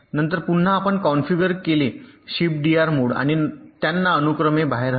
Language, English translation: Marathi, then again you configure in the shift d r mode and shift them out serially